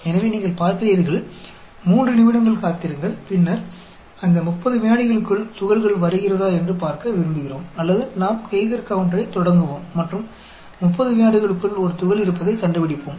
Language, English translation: Tamil, So, you see, wait for 3 minutes, and then we want to look at whether particles come within that 30 seconds, or we start our Geiger counter, and within 30 seconds we detect a particle